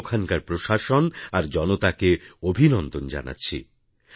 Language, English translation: Bengali, I congratulate the administration and the populace there